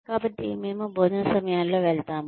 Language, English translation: Telugu, So, we go at meal times